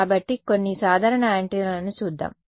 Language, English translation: Telugu, So, let us look at some typical antennas ok